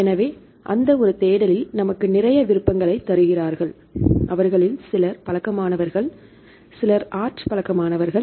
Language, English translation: Tamil, So, that one search; so they give lot of options right some of them are familiar, some of them are art familiar